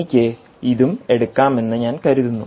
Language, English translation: Malayalam, i think i can take this as well